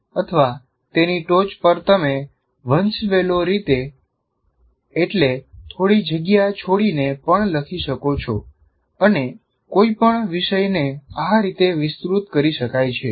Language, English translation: Gujarati, Or on top of that, you can also write in a kind of indented fashion hierarchically any topic can be elaborated like this